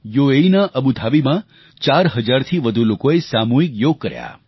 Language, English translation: Gujarati, In Abu Dhabi in UAE, more than 4000 persons participated in mass yoga